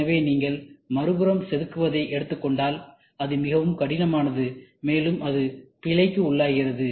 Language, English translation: Tamil, So, if you go on the other side hand carving, it is very tedious, difficult, and it is prone for error